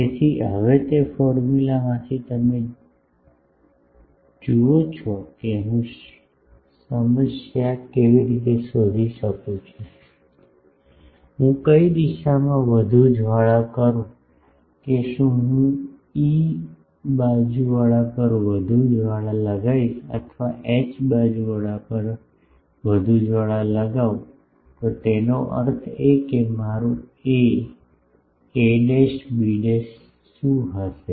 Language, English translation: Gujarati, So, with that formula now you see problem is how I find out that, which direction to flare more whether I will put more flare on E side or more flare on H side etc